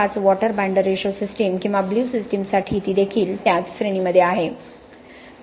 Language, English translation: Marathi, 5 water binder ratio system or the blue system it is also somewhere in the same range